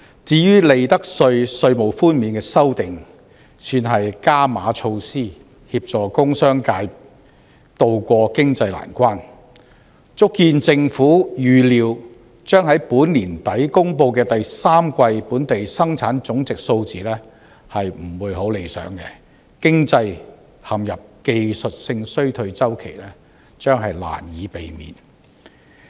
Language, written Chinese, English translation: Cantonese, 至於利得稅稅務寬免的修訂，算是"加碼"措施協助工商界渡過經濟難關，足見政府預料，將在本年年底公布的第三季本地生產總值數字不會太理想，經濟陷入技術性衰退周期將難以避免。, The proposed amendment to the tax reduction for profits tax can be regarded as an enhanced measure to help the industrial and business sectors to tide over the present economic hardship . Evidently the measure is a foreboding of the Government that the third - quarter Gross Domestic Product of Hong Kong to be announced by the end of the year will not be promising and that the economy will inevitably enter the cycle of technical recession